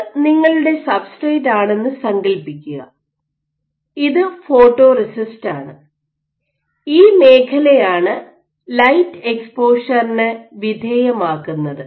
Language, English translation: Malayalam, So, if this is your substrate and imagine you have this is your entire photoresist of which you have exposed this zone to light this is light exposure